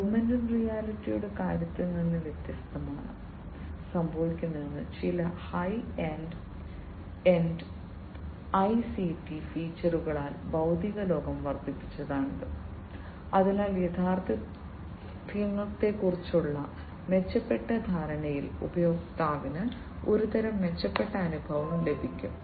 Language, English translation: Malayalam, It you know unlike in the case of augmented reality, in augmented reality what is happening is the you know the physical world is augmented with certain you know high end ICT features, so that the user gets some kind of improved experience in improved perception of the reality